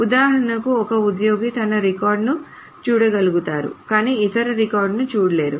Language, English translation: Telugu, For example, an employee may be able to see her own record but not records of others